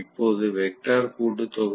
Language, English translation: Tamil, So this is going to be the vectorial sum